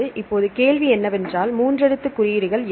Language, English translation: Tamil, Now the question is what are three letter codes then why are you have to look